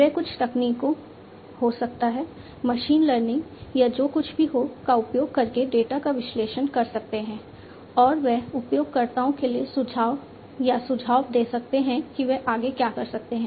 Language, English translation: Hindi, They analyze the data using certain techniques maybe, you know, machine learning or whatever and they will be making recommendations or suggestions to the user about what they could do next, alright